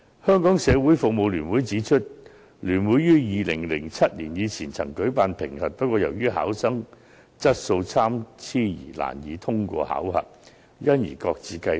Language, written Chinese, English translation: Cantonese, 香港社會服務聯會指出，聯會於2007年以前曾舉辦評核。不過，礙於考生水平參差，難以通過考核，評核考試因而擱置。, According to the Hong Kong Council of Social Service they used to organize assessment tests before 2007 but they stopped doing so because the levels of the candidates varied so much that many of them could not pass the assessment